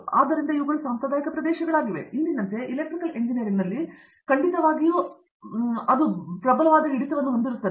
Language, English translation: Kannada, So, these are traditional areas, definitely they do have a strong hold in Electrical Engineering as on today